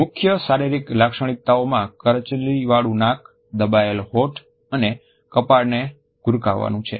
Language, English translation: Gujarati, Main physical features are listed as a wrinkled nose, pressed lips and frowning of the forehead